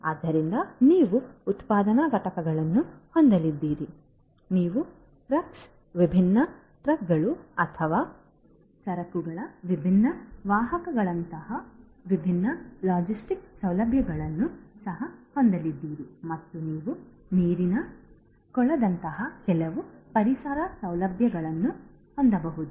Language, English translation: Kannada, So, you are going to have manufacturing units, you are also going to have different logistic facilities such as trucks, different trucks or the different other carriers of goods and you could have maybe some ecological facilities such as water pond etcetera